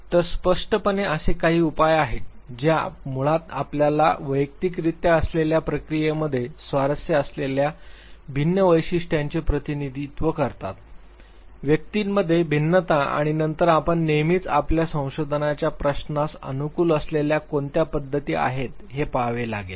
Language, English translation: Marathi, So, clearly there are measures which basically represent different features we are interested in the within person process, variation within individuals, and then you always have to look at what are the methods that basically suit your research question